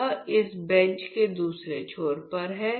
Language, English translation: Hindi, So, it is there on the other end of this bench